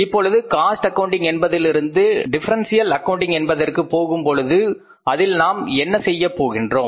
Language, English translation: Tamil, Now when we moved from the full cost accounting to the differential accounting, what we do in the differential accounting